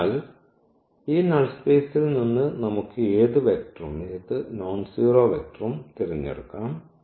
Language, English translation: Malayalam, So, we can pick any vector, any nonzero vector from this null space